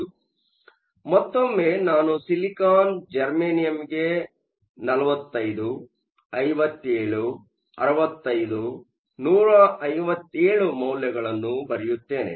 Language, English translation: Kannada, So, once again let me write silicon germanium 45, 57, 65, 157